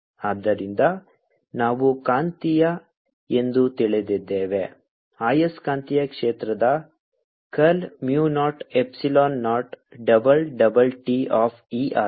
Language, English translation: Kannada, so ah, we know the magnetic curl of magnetic field is mu, epsilon naught double, double t of e